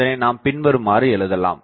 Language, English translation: Tamil, So, I will write the steps